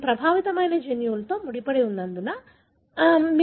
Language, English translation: Telugu, It happens likely, because it is linked, closely linked to that particular affected gene